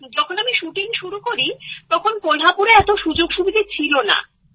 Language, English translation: Bengali, When I started shooting, there were not that many facilities available in Kolhapur